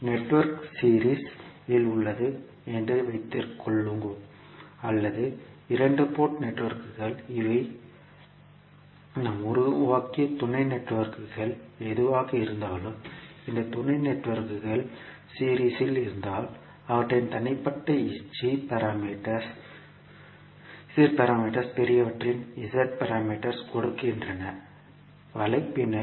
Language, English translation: Tamil, Let us take an example that suppose the network is in series means the two port networks these are whatever the sub networks we have created, if these sub networks are in series then their individual Z parameters add up to give the Z parameters of the large network